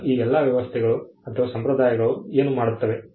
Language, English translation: Kannada, Now, what did all these arrangements or conventions do